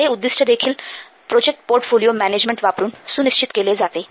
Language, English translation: Marathi, This can be also aimed at this can be also ensured by using this project portfolio management